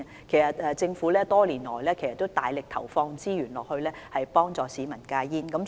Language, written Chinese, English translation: Cantonese, 其實，政府多年來大力投放資源幫助市民戒煙。, In fact the Government has allocated a great of deal of resources to help people quit smoking over the years